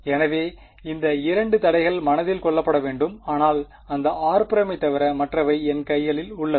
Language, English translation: Tamil, So, these are the 2 constraints that have to be kept in mind, but other than that r prime is in my hands